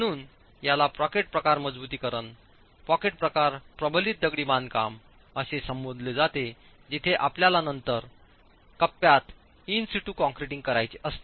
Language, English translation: Marathi, So, it is referred to as pocket type reinforcement, pocket type reinforced masonry where you then have to do in situ concreting within the pocket